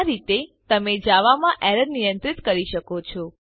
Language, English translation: Gujarati, This is how you handle errors in java